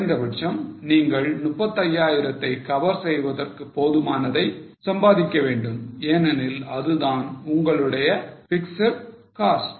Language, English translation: Tamil, Minimum you have to earn enough to cover your 35,000 because that is a fixed cost